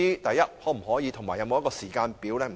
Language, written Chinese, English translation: Cantonese, 局長能否提供時間表呢？, Can the Secretary provide a timetable?